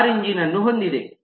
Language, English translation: Kannada, car uses an engine